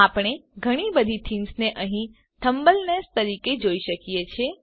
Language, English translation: Gujarati, We see a large number of themes here as thumbnails